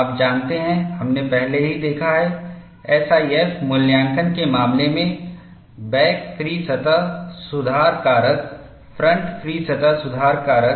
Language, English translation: Hindi, You know, we have already seen, in the case of SIF evaluation, back free surface correction factor, front free surface correction factor